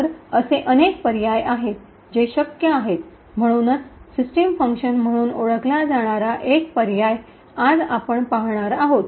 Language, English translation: Marathi, So, there are multiple options that are possible so one option that we will actually look at today is known as the system function